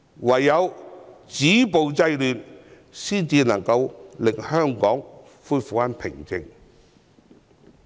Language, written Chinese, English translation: Cantonese, 唯有止暴制亂才能令香港恢復平靜。, Only by stopping violence and curbing disorder can peace be restored in Hong Kong